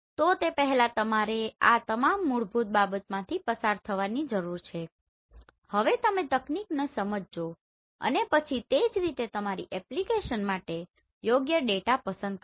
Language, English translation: Gujarati, So before that you need to go through all this basic, understand the technology and then accordingly select a appropriate data for your application right